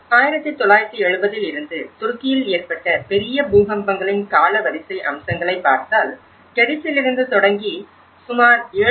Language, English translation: Tamil, If you look at the chronological aspects of the major earthquakes in the Turkey since 1970, starting from Gediz which is about 7